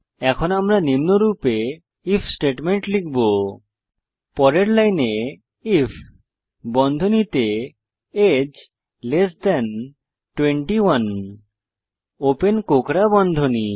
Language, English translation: Bengali, Now, we will write an If statement as follows: Next line if within bracket age 21 open curly brackets